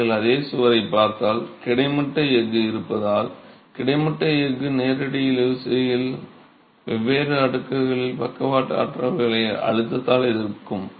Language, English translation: Tamil, Whereas if you look at the same wall, the cracked wall with the presence of horizontal steel, the horizontal steel is in direct tension, is at different layers actually resisting the lateral forces by tension